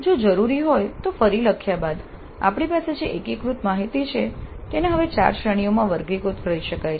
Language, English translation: Gujarati, Then the consolidated data that we have can now after rewording if necessary can now be classified into four categories